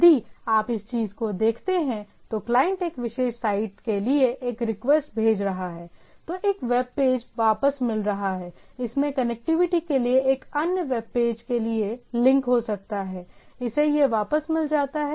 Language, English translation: Hindi, So, if you look at the thing, so that the client is sending request for a particular site, getting a web page back, it may have link for other web page to connectivity, it gets this back